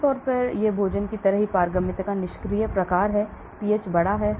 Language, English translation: Hindi, generally it is passive type of permeability just like food, pH is big